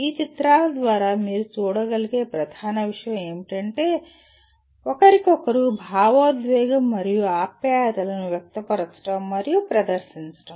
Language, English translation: Telugu, The main thing that you can see through these pictures is expressing and demonstrating emotion and affection towards each other